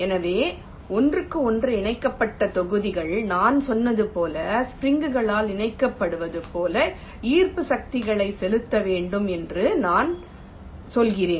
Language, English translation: Tamil, so we are saying that the blocks connected to each other are suppose to exert attractive forces, just like as if they are connected by springs